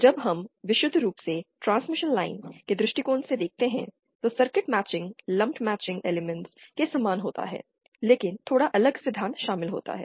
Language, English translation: Hindi, When we look from a purely transmission line point of view, the matching of circuits is similar to the matching using lumped elements but a little different principles are involved